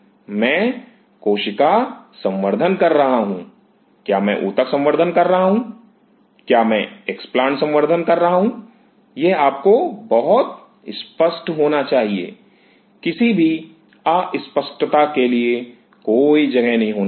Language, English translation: Hindi, I am doing cell culture; am I doing tissue culture, am I doing explants culture, it should be very clear to you there should not be any room for any ambiguity